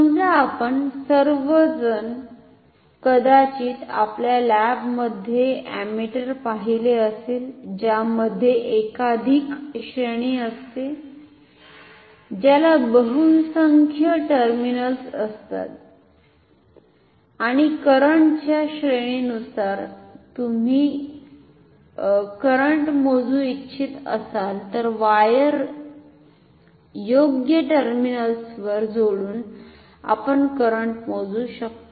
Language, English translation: Marathi, Now suppose you all have seen maybe in your lab ammeters which has multiple range which has say multiplied terminals and depending on the range of current that you want to measure you connect the wires all across the suitable terminals or it may have some knob with which you can change the range of measurement, how is that done